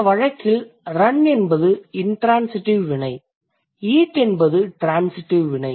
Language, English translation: Tamil, So, in this case, run is an intransitive verb and eat is a transitive verb